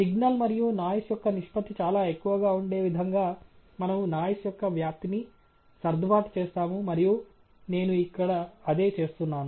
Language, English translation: Telugu, And we adjust the amplitude of the noise such that the signal to noise ratio is fairly high, and that’s what I am doing here